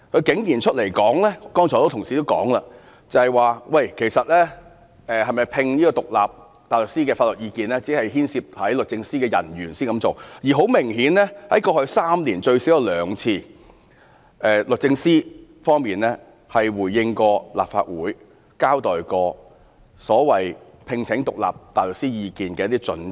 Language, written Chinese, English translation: Cantonese, 剛才很多同事提到，她竟說就是否外聘獨立大律師的法律意見，只有牽涉律政司的人員時才會這樣做，而很明顯，過去3年律政司最少有兩次回應立法會，交代有關聘請獨立大律師意見的一些準則。, Just now a number of Members mentioned her explanation of not seeking outside legal advice . That is DoJ will seek outside counsels advice only when a case involves staff of the department . But obviously over the past three years DoJ responded to the Legislative Council at least on two occasions about the criteria for seeking advice from outside counsels